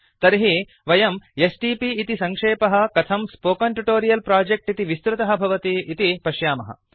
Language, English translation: Sanskrit, You will notice that the stp abbreviation gets converted to Spoken Tutorial Project